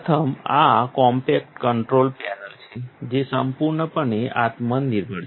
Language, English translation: Gujarati, First, this is the compact control panel, completely self contained